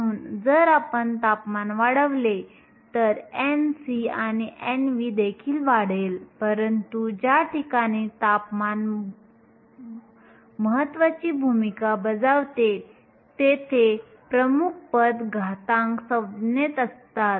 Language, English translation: Marathi, So, if we increase temperature n c and n v will also increase, but the dominant term where temperature plays a role is in the exponential term